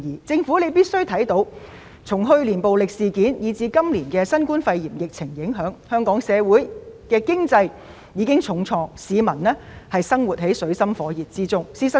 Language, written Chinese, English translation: Cantonese, 政府必須明白，由於去年的暴力事件，以至今年的新冠肺炎疫情，香港經濟受了重創，市民生活在水深火熱中。, The Government must understand that owing to the violent incidents last year and the novel coronavirus epidemic this year our economy has been hit hard and members of the public are in dire straits